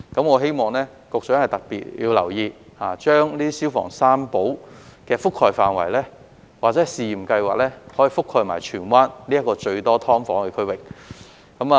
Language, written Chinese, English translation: Cantonese, 我希望局長要特別留意，把"消防三寶"的覆蓋範圍或試驗計劃覆蓋至荃灣這個最多"劏房"的區域。, I hope that the Secretary will pay special attention to the scope of this pilot scheme of providing the three treasures of firefighting tools which should cover Tsuen Wan where subdivided units are most densely packed